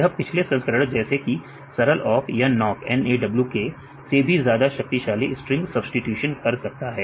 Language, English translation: Hindi, So, they are also perform very more powerful string substitutions than the previous versions like a simple awk or this nawk right